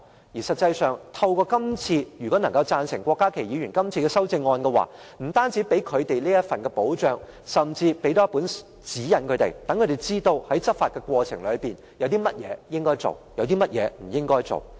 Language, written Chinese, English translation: Cantonese, 而實際上，通過郭家麒議員的修正案，不但能為他們提供一份保障，甚至能夠給予他們指引，讓他們知道在執法過程中，有甚麼應該做，有甚麼不應該做。, In fact not only can the passage of Dr KWOK Ka - kis amendment provide them with protection . It can even give them a guideline letting them know what they should or should not do in the course of law enforcement